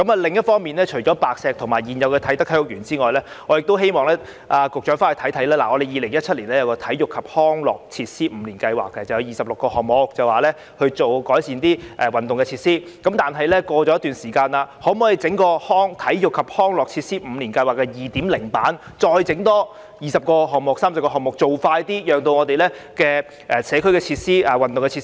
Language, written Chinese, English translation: Cantonese, 另一方面，除了白石和啟德體育園外，我亦希望局長回去考慮，當局曾在2017年提出《體育及康樂設施五年計劃》，以期開展26個項目，改善運動設施，但現在已過了一段時間，當局可否推出《體育及康樂設施五年計劃 2.0 版》，再開展二三十個項目，加快工作，增加我們的社區設施和運動設施。, On the other hand aside from Whitehead Sports Park and Kai Tak Sports Park I hope the Secretary will consider the following given that the Administration put forward the Five - Year Plan for Sports and Recreation Facilities in 2017 to launch 26 projects with a view to improving sports facilities and some time has passed now can it introduce a Five - Year Plan for Sports and Recreation Facilities 2.0 to launch another 20 to 30 projects thereby accelerating the efforts to provide additional community facilities and sports facilities?